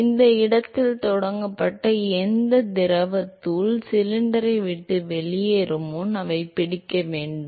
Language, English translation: Tamil, So, whatever fluid particle that is started at this location, they have to catch up, before they leave the cylinder